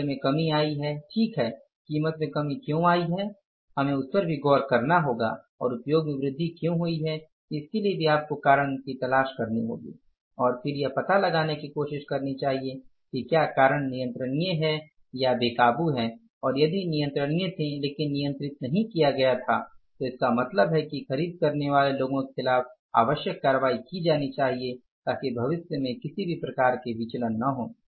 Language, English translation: Hindi, Price has come down, fine, why the price has come down, we have to look for that also and why the usage has increased we have to look for that also also and then try to find out whether the reasons are controllable uncontrollable and if were controllable but were not controlled so it means the necessary action should be taken against the purchase people so that any type of the variance do not take place, variances do not take place in future